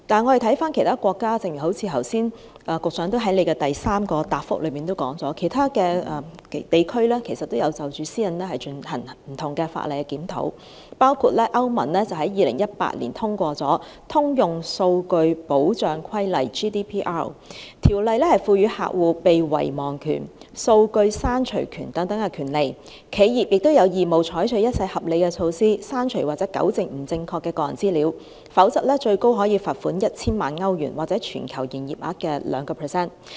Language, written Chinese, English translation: Cantonese, 環顧其他國家，正如局長在主體答覆第三部分提到，其他地區也有就保障私隱而對法例進行檢討，包括歐洲聯盟於2018年通過《通用數據保障規例》，該規例賦予客戶被遺忘權、數據刪除權等權利；企業亦有義務採取一切合理措施，刪除或糾正不正確的個人資料，否則可被罰款最高 1,000 萬歐羅或全球盈業額的 2%。, Yet the Commissioner has done nothing or can do nothing about the situation . Looking at the situation in other countries as the Secretary mentioned in part 3 of the main reply other regions have conducted reviews of legislation protecting privacy including the passage of the Generation Data Protection Regulation GDPR by the European Union EU . Under GDPR consumers are vested the right to be forgotten and the right to erasure of their data whereas corporations are obliged to adopt all reasonable measures to delete or rectify incorrect personal data and failure to do so will be subject to a fine of up to €10 million or 2 % of the corporations global revenue